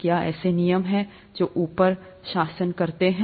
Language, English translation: Hindi, Are there rules that govern the above